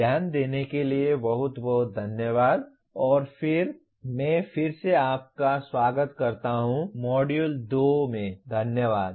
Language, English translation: Hindi, Thank you very much for attention and I welcome you again to the Module 2